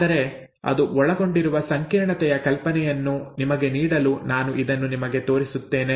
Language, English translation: Kannada, But, to give you an idea of the complexity that is involved let me just show you this